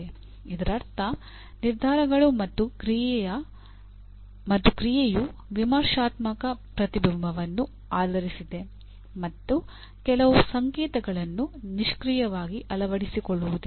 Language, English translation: Kannada, That means decisions and action are based on critical reflection and not a passive adoption of some code